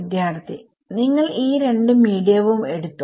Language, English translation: Malayalam, Sir, you are taking both of these medium